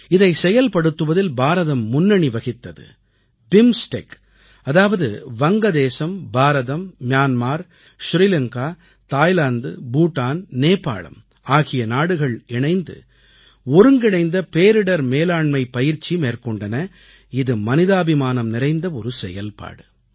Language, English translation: Tamil, India has made a pioneering effort BIMSTEC, Bangladesh, India, Myanmar, Sri Lanka, Thailand, Bhutan & Nepal a joint disaster management exercise involving these countries was undertaken